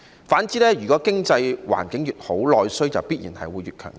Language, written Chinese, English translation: Cantonese, 反之，經濟環境越好，內需必然會越強勁。, On the contrary the better the economic environment the stronger the domestic demand